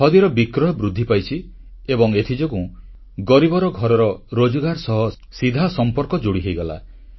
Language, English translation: Odia, Sale of Khadi has increased and as a result of this, the poor man's household has directly got connected to employment